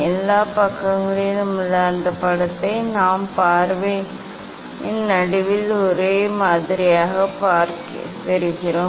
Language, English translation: Tamil, that image in all side we get on the same in the middle of the view